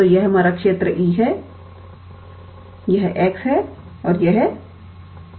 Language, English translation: Hindi, So, this is our region E sorry this is x this is y